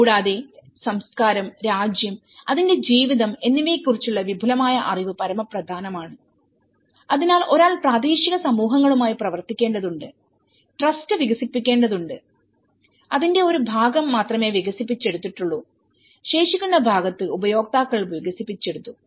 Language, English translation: Malayalam, And extensive knowledge of the country, culture and its life is a paramount, so one has to work with the local communities the trust has to be developed and only a part of it has been developed in the remaining part has been developed by the users and how to optimize the time taken to carry out the project